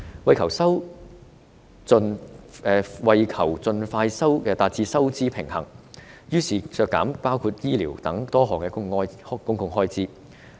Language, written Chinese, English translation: Cantonese, 為求盡快達至收支平衡，政府削減多項公共開支，包括醫療開支。, In order to achieve a balanced budget as soon as possible the Government cut a number of public expenditures including health care expenditures